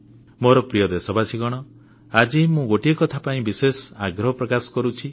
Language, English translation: Odia, My dear countrymen, today I want to make a special appeal for one thing